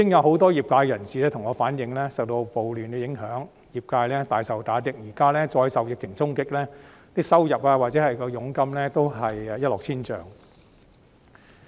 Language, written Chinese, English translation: Cantonese, 很多業界人士向我反映，受到暴亂的影響，業界大受打擊，現在再受疫情衝擊，不論收入或佣金也一落千丈。, Many members of the industry have relayed to me that riots have already dealt them a serious blow and now they have further come under the impact of the outbreak . Their income or commission has thus plummeted